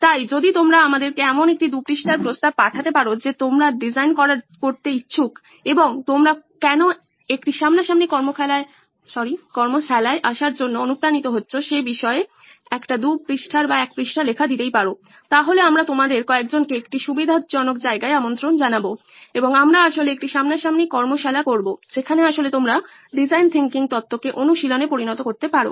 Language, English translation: Bengali, So if you can send us a 2 page proposal of something that you would like to design and a one page write up on why you are motivated to come to a face to face workshop then we will invite some of you over to a convenient location and we will actually have a face to face workshop where you can actually turn design thinking theory into practice